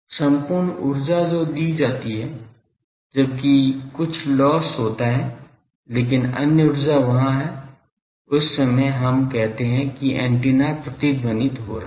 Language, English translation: Hindi, All the energy that is given provided there is some loss, but other energy is there that time we say that antenna is resonating